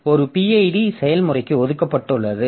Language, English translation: Tamil, ID is assigned to the process